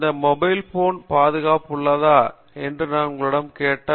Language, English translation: Tamil, Today, if I ask you if this mobile phone secure